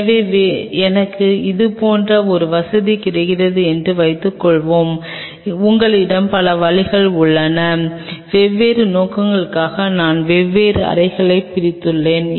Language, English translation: Tamil, So, there are you have multiple ways suppose I get a facility like this, I split up into four different chambers for different purpose